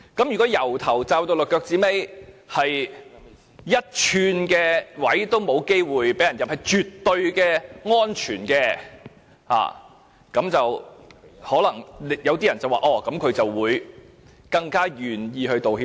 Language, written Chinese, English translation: Cantonese, 如果從頭罩到腳，沒有露出一寸身體，沒有機會被人攻擊，是絕對安全的，那麼做錯事的人可能更願意道歉。, If the protective shield can offer total protection leaving no point of vulnerability the wrongdoer is more likely to apologize